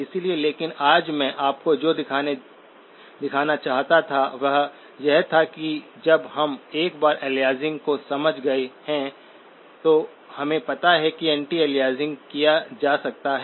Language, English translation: Hindi, So but again, what I wanted to show you today was that when once we have understood aliasing, we know anti aliasing can be done